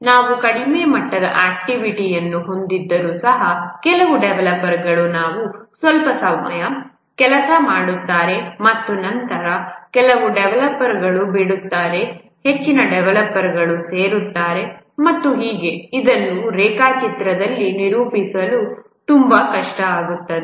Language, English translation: Kannada, Even if we have the lowest level activity, some developers work for some time and then some developers leave, more developers join and so on, it becomes very difficult to represent in a diagram